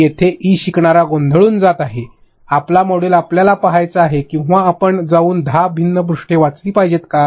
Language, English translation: Marathi, There e learner is going to get confused big time, are you supposed to see your module or are you supposed to go and read 10 different pages